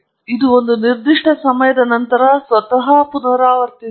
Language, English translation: Kannada, It repeats itself after a certain time